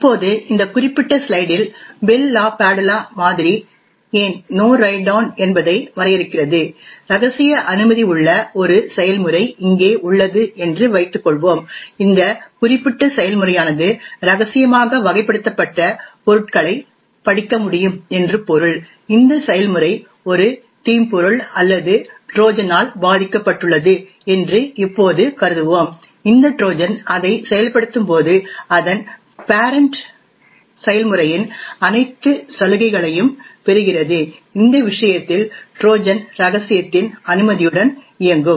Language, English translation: Tamil, Now in this particular slide we will see why the Bell LaPadula model defines No Write Down, let us assume that we have a process over here which is having a confidential clearance, this meant to say this particular process can read objects that are classified as confidential, now let us assume that this process is infected by a malware or a Trojan as we know when this Trojan executes it inherits all the privileges of its parent process, in this case the Trojan will run with a clearance of confidential